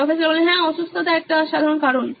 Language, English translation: Bengali, Yes, sickness is a common reason